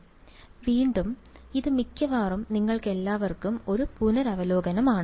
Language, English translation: Malayalam, So, again, so this is mostly revision for you all